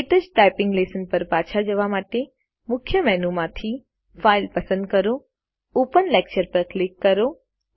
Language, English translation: Gujarati, To go back to the KTouch typing lessons,from the Main menu, select File, click Open Lecture